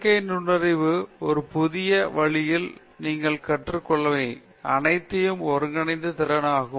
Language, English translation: Tamil, Synthetic intelligence is the ability to combine whatever you have learned in a new way